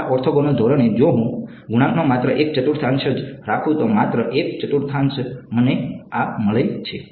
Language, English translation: Gujarati, In this orthogonal basis, if I keep only one fourth of the coefficients only one fourth I get this